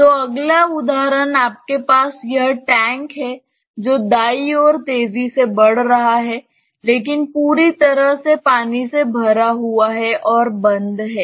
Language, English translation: Hindi, So, next example is you have this tank accelerating towards the right, but completely filled with water ok, but closed